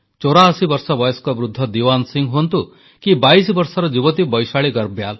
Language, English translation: Odia, Be it an 84 year old elderly man Diwan Singh, or a 22 year old youth Vaishali Garbyaal